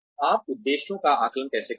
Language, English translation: Hindi, How do you assess objectives